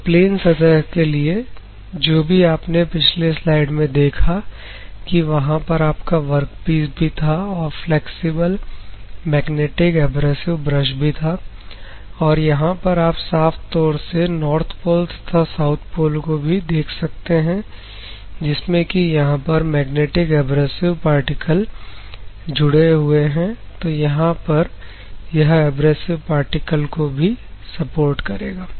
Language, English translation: Hindi, So, for planar surfaces whatever you have seen in the previous slide also is the planar surfaces, and workpiece is there, flexible magnetic abrasive brush is there, this is you can see clearly the North Pole and South Pole; where you have the magnetic abrasive particles are embedded